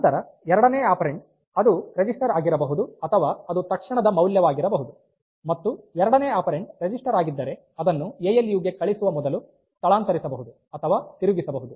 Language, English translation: Kannada, Then the second operand it can be a register or it can be an immediate value and if the second operand is a register it can be shifted or rotated before sending to the ALU